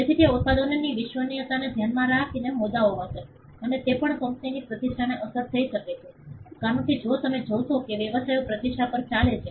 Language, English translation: Gujarati, So, they will be issues with regard to reliability of those products and also, the company’s reputation can get affected, because if you see businesses are run on reputation